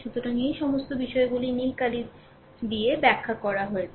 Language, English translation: Bengali, So, all these things have been explained and told by blue ink, right